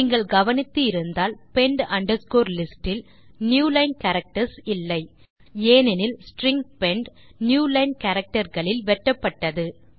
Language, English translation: Tamil, If you noticed, pend underscore list did not contain the newline characters, because the string pend was split on the newline characters